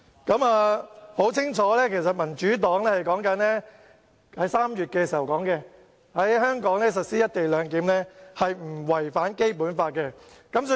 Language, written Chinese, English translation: Cantonese, 大家可以清楚地看到，民主黨在3月表示，在香港實施"一地兩檢"不違《基本法》。, Evidently the Democratic Party said in March that the implementation of the co - location arrangement in Hong Kong was not against the Basic Law